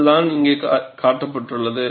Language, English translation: Tamil, That is what is shown here